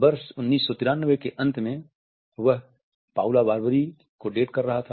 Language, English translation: Hindi, At the end of the year of 1993 he was dating Paula Barbieri